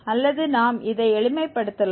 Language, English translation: Tamil, Or we can simplify this